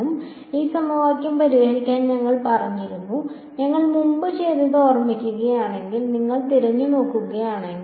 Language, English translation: Malayalam, So, to solve this equation we had said that if you look back if you remember what we did previously